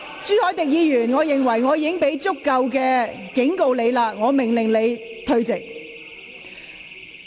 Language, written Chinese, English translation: Cantonese, 朱凱廸議員，由於我已給予你充分警告，我現在命令你退席。, Mr CHU Hoi - dick since I have given you sufficient warning I order you to leave the Chamber now